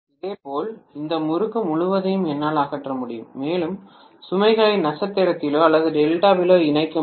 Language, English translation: Tamil, Similarly, I can eliminate this winding completely, and I would be able to connect the load may be connected in star or delta here basically